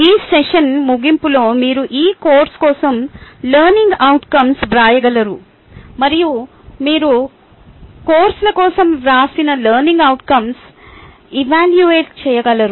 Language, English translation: Telugu, at the end of this session, you will be able to write learning outcome for your course and also you will be able to evaluate the written learning outcome for the courses